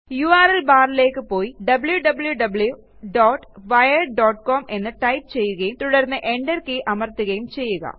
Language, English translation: Malayalam, Go to the URL bar and type www.wired.com and press enter key